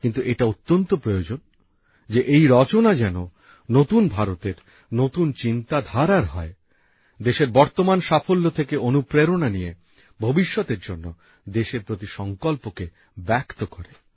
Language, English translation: Bengali, But it is essential that these creations reflect the thought of new India; inspired by the current success of the country, it should be such that fuels the country's resolve for the future